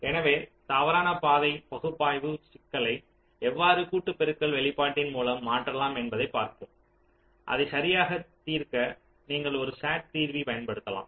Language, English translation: Tamil, so let us see how the false path analysis problem can be mapped into a product of sum expression and you can use a sat solver